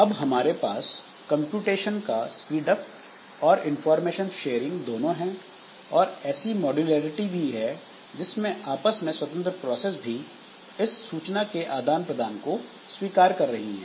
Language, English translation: Hindi, So, we have got computational speed up, we have got information sharing, we have got modularity also like maybe the portions which are relatively independent accepting this information sharing